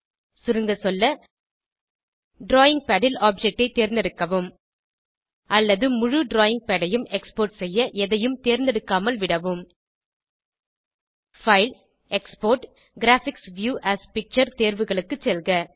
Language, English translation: Tamil, To Summarise, Select the objects on the drawing pad, or leave it unselected to export the entire drawing pad Select the menu option File gtExport gt Graphics View as Picture